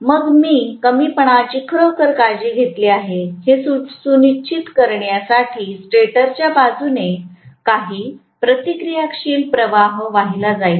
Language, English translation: Marathi, Then I am going to have essentially some reactive current is drawn from the stator side to make sure that the shortfall is actually taken care of, right